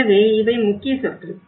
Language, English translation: Tamil, So these are the key words